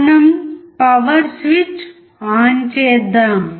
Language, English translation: Telugu, We switch the power on